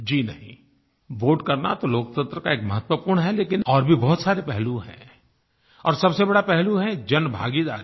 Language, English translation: Hindi, Voting is certainly an important component but there are many other facets of democracy